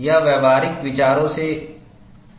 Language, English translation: Hindi, This is recommended from practical considerations